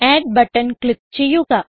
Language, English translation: Malayalam, Click on Add button